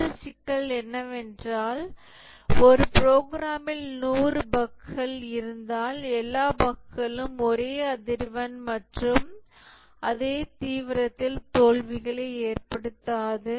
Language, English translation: Tamil, One issue is that if there are 100 bugs in a program, all bugs do not cause failures in the same frequency and same severity